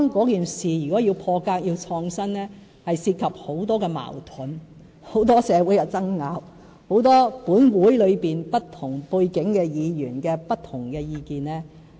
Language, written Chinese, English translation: Cantonese, 然而，如果要破格、創新，將涉及很多矛盾、社會爭拗、本會裏不同背景議員不同的意見。, But if we are to be unconventional in mindset and innovative in approach we will certainly have to face lots of conflicts social disputes and the divergent views of Legislative Council Members coming from different backgrounds